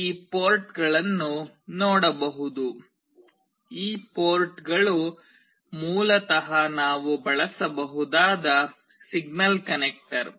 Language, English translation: Kannada, You can see these ports; these ports are basically signal connector that we can use